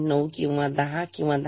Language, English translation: Marathi, 9 or 10